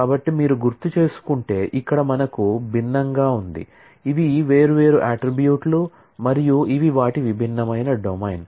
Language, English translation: Telugu, So, if you, if you recall then here we had different, these are the different attributes and these are their different domain